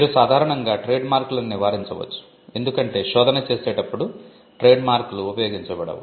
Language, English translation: Telugu, You would normally avoid trademarks, because trademarks are not used while doing a search